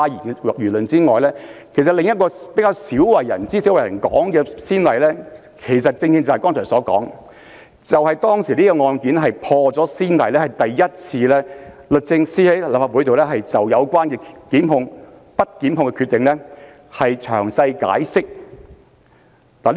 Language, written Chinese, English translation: Cantonese, 但是，在此之前，另一個比較鮮為人知和較少被提及的先例，正是我剛才所說的案例，因當時的律政司破了先例，首次在立法機關就不作檢控的決定作出詳細解釋。, However the case I cited just now was in fact another precedent case before the Sally AW case although that case is less known and mentioned . It should be noted that the then Attorney General has set a precedent in that case by giving a detailed explanation in the legislature for the first time of a decision not to institute prosecution